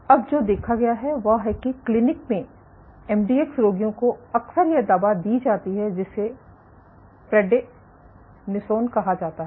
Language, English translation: Hindi, Now what has been observed is in the clinic MDX patients are often given this drug called prednisone